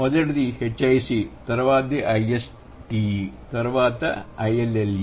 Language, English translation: Telugu, The first is H I C, then it is I S T E, then it is I L L E